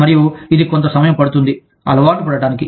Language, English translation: Telugu, And, it takes some, getting used to